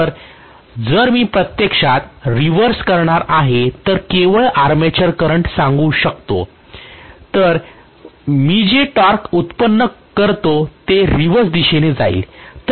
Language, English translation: Marathi, So if I am going to actually reverse let us sayonly the armature current then the torque that I generate will be in the reverse direction